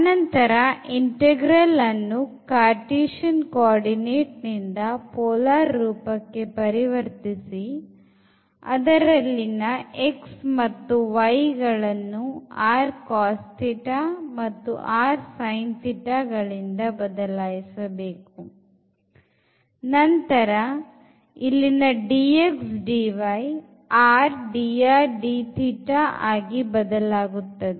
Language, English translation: Kannada, And in that case the whole idea was that if we have the integral here in the Cartesian coordinate, we can convert into the polar coordinate by just substituting this x and y to r cos theta and r sin theta and this dx dy will become the r dr d theta